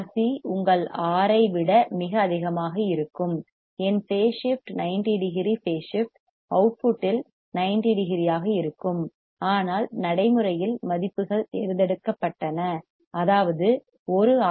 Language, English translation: Tamil, If c is extremely high then RC is extremely high than your R then my phase shift would be 90 degree phase shift would be 90 degrees at the output, but in practice the values are selected such that 1 RC will provide us phase shift of 60 degrees